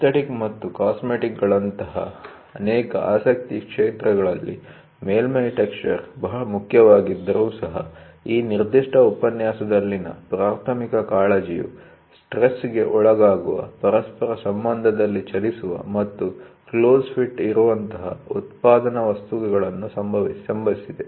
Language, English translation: Kannada, Even though, surface is important in many fields of interest such as aesthetic and cosmetic, amongst others, the primary concern in this particular lecture pertains to manufacturing items that are subjected to stress, move in relation to one another, and have a close fits of joining them